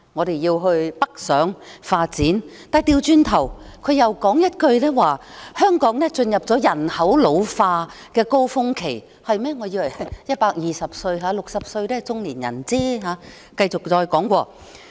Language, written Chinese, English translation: Cantonese, 她要青年人北上發展，但轉頭又說一句，香港進入了人口老化高峰期——我以為120歲才是老年人 ，60 歲只是中年人。, Yet while she asked our young people to go north for development she told us that Hong Kong would soon reach its peak of ageing population . I suppose a person is old only at the age of 120 and 60 is only the middle age